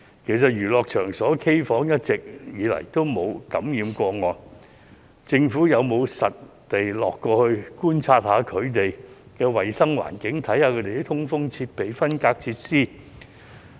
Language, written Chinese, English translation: Cantonese, 其實，娛樂場所、卡拉 OK 房一直沒有出現感染個案，政府有否實地考察衞生環境、通風設備和分隔設施？, In fact for a long time no cases of infection have been identified in places of entertainment and karaoke rooms . Has the Government conducted on - site inspections of the hygiene conditions ventilation equipment and partitioning facilities?